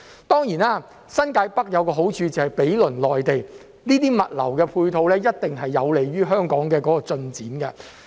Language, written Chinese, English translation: Cantonese, 當然，新界北有一個好處就是毗鄰內地，這些物流的配套一定有利於香港的進展。, Of course the merit of New Territories North is its proximity to the Mainland and these logistics support facilities will certainly be conducive to the progress of Hong Kong